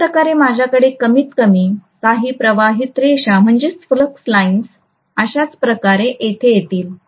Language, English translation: Marathi, Similarly, I will have at least some flux lines go here like this and go here like this